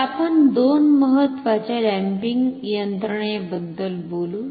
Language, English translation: Marathi, So, we will talk about the two important damping mechanisms